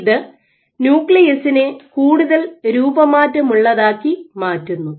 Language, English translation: Malayalam, So, this makes the nuclei mode deformable